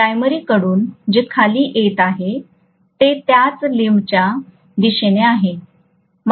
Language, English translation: Marathi, But what is coming from the primary is downward, in the same limb